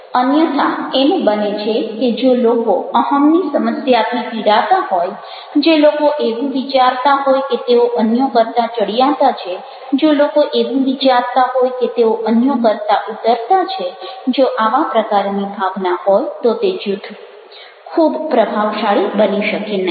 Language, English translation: Gujarati, that if people are suffering from ego problem, if people are thinking that they are superior to others, if people are thinking they are inferior to others, if these kinds of feelings are there, then group might not be very effective